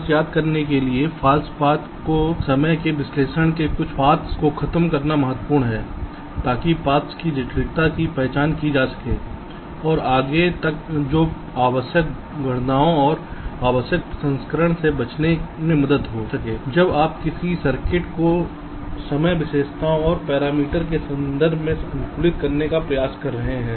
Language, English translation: Hindi, just to recall, false paths are important to eliminate certain paths from timing analysis, to identify the criticality of paths and so on and so forth, which can help in in avoiding unnecessary calculations and unnecessary processing when you are trying to optimize a circuit with respect to the timing characteristics and parameters